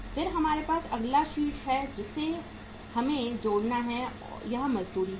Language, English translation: Hindi, Then we have the next head we have to add up here is wages